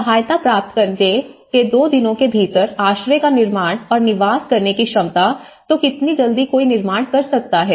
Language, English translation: Hindi, You know, one is ability to build and inhabit the shelter within two days of receiving assistance, so how quickly one can build